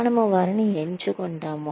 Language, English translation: Telugu, We select them